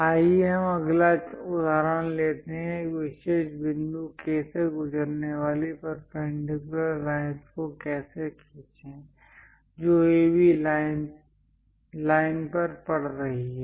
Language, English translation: Hindi, Let us take next example, how to draw a perpendicular line passing through a particular point K, which is lying on AB line